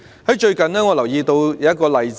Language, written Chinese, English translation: Cantonese, 我最近留意到一個例子。, I noticed one example recently